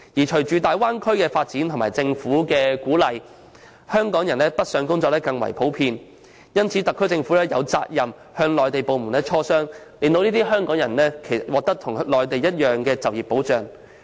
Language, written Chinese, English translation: Cantonese, 隨着大灣區的發展及政府的鼓勵，港人北上工作將更為普遍，因此特區政府有責任與內地部門磋商，令這些港人獲得與內地居民一致的就業保障。, With the development of the Bay Area and the encouragement from the Government a growing number of Hong Kong people will choose to work on the Mainland and the SAR Government is therefore duty - bound to negotiate with the Mainland authorities so that they will be given the same employment protection as that enjoyed by Mainland residents